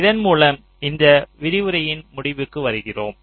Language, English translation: Tamil, so so with this we come to the end of this lecture